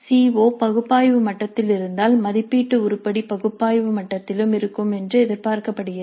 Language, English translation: Tamil, If the CO is at analyze level it is expected that the assessment item is also at the analyzed level